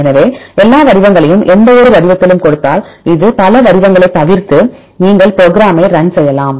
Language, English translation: Tamil, So, if we give all the sequences in any format because it except several formats then you run the program